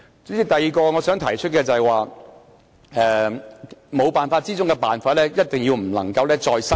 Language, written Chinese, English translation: Cantonese, 主席，我想提出的第二點，就是"沒辦法之中的辦法"，我們一定不能夠再失守。, President the second point I would like to make is what we should do when there is no other alternative . We must not lose any more control